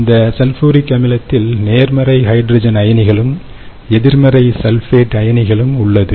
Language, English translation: Tamil, this sulfuric acid also remains as positive hydrogen ions and negative sulfate ions in the solution